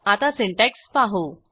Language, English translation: Marathi, Let us see the syntax